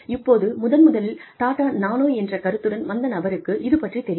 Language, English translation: Tamil, Now, the person, who originally came up, with the concept of Tata Nano, knows that, all this is happening